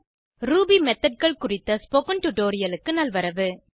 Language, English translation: Tamil, Welcome to the Spoken Tutorial on Ruby Methods